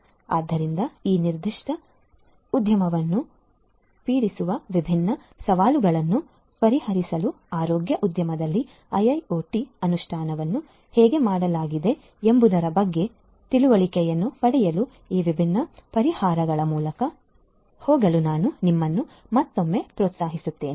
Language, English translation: Kannada, So, I would encourage you once again to go through these different solutions to get an understanding about how IIoT implementation has been done in the healthcare industry to solve different challenges that plague this particular industry